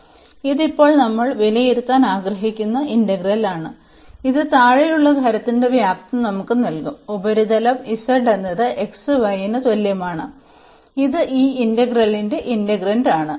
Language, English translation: Malayalam, So, this is the integral we want to now evaluate and that will give us the volume of the solid below this that surface z is equal to x y which is the integrand of this integral